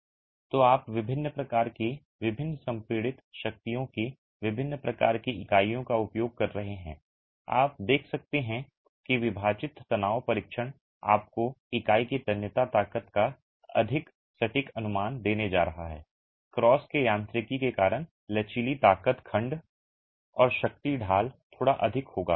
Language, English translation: Hindi, So, you are using different types of units of different compressive strength, you can see that the split tension test is going to give you a much more accurate estimate of the tensile strength of the unit, the flexual strength because of the mechanics of the cross section and the strain gradient will be slightly higher